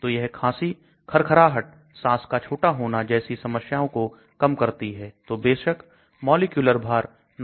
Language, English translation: Hindi, They help prevent symptoms of the coughing, wheezing, shortness of breath so on and so obviously the molecular weight 916 grams mole